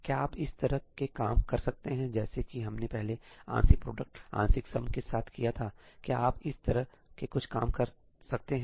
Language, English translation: Hindi, Can you do tricks like what we did earlier with partial product, partial sum can you do stuff like that here